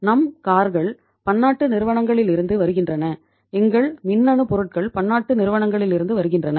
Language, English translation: Tamil, Our cars are coming from multinational companies, our electronics products are coming from the multinational companies